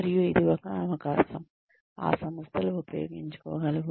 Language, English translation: Telugu, And, that is one opportunity, that organizations can make use of